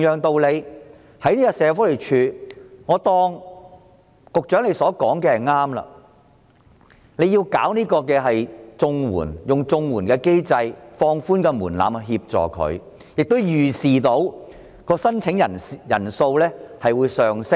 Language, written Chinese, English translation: Cantonese, 我暫且相信局長所說的理由成立，利用綜援機制，放寬門檻來幫助這些失業人士，並預視申請人數會上升。, Let us say that I temporarily agree with the Secretarys justification and that is the Government can assist the unemployed through the CSSA mechanism with relaxed requirements . Then I expect that the number of applicants will increase